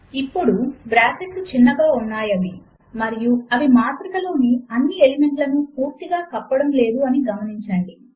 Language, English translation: Telugu, Now, notice that the brackets are short and do not cover all the elements in the matrix entirely